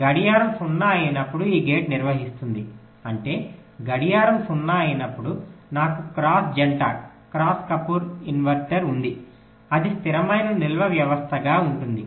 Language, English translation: Telugu, when clock will be zero, then this gate will be conducting, which means when clock is zero, i have a cross couple inverter with feedback that will constitute a stable storage system